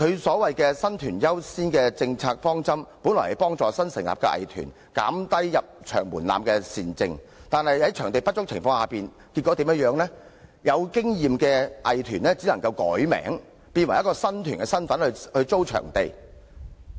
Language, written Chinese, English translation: Cantonese, 所謂的"新團優先"政策方針，本意是幫助新成立的藝團，減低入場門檻的善政，但在場地不足的情況下，結果導致有經驗的藝團易名，務求能以新團身份成功租用場地。, The policy direction of giving priority to new arts groups is a desirable measures laid down with the original intention of lowering the threshold to assist newly established arts groups but as performing venues are inadequate some long - standing arts groups have resorted to changing their name with a view to successfully hiring venues for arts activities in the capacity as a new arts group